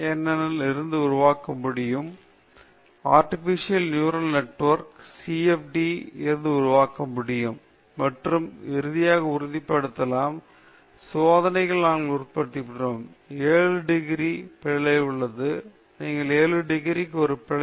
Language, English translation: Tamil, So, you can generate the solution from ANN artificial neural network; you can generate from CFD, and you can, finally, confirm, we confirmed with the experiments, we get within an error of 7 degrees; you get within an error of 7 degrees